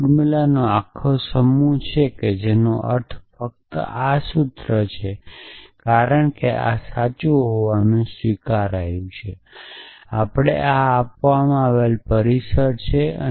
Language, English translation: Gujarati, If this whole set of formulas which means only this formula, because this is accepted to be true; this is the premises given to us